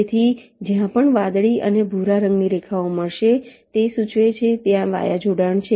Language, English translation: Gujarati, so wherever the blue and a brown line will meet, it implies that there is a via connection there